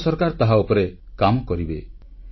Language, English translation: Odia, The Government of India will work on that